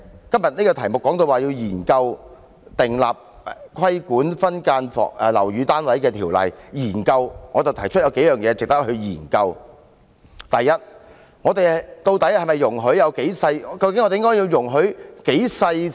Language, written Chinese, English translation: Cantonese, 今天這項議案提出要研究訂立規管分間樓宇單位的條例，我提出有數點值得研究：首先，究竟我們應該容許"劏房"可以多細小呢？, Today this motion proposes studying the enactment of an ordinance on regulating subdivided units . Let me raise a few points worth studying first of all how small should we actually allow a subdivided unit to be?